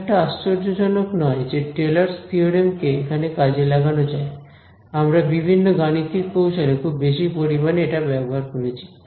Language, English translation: Bengali, Not surprisingly the Taylor’s theorem comes of use over here, we have used this extensively in numerical techniques and what not right